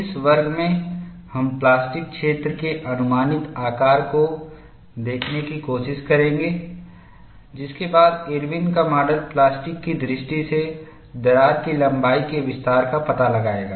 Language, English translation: Hindi, In this class, we will try to look at the approximate shape of plastic zone, followed by Irwin's model in finding out the extension of crack length from the plasticity point of view